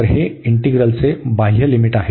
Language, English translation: Marathi, So, that is the outer limit of the integral